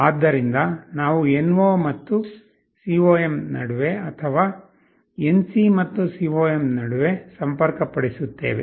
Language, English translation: Kannada, So, we will be connecting either between NO and COM, or between NC and COM